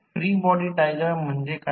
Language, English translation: Marathi, What is free body diagram